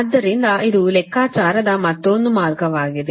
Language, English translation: Kannada, this is another way of calculating